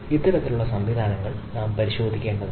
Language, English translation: Malayalam, so this sort of mechanisms we need to look into